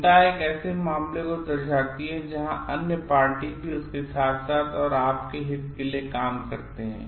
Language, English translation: Hindi, Concern denotes a case where other party also does things for their as well as your good